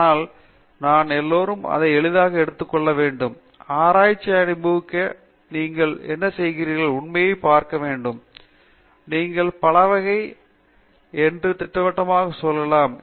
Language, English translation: Tamil, So, I think we all have to take it easy, enjoy the research, do what you are doing, don’t lose sight of realities, be able to project that you are versatile